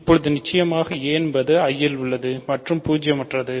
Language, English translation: Tamil, Now, since certainly a belongs to I right and a is non zero